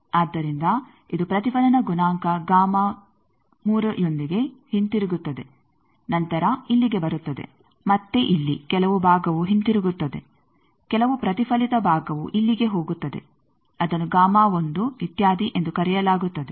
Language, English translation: Kannada, So, it comes back with a reflection coefficient gamma 3, then comes here again here some portion comes back reflected some portion goes here that they are calling is gamma 1, etcetera